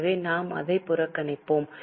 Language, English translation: Tamil, So, we'll ignore it